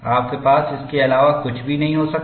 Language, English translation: Hindi, You cannot have anything other than that